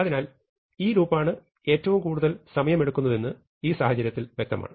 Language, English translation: Malayalam, So, in this case it is clear that this loop is what is going to take the most amount of time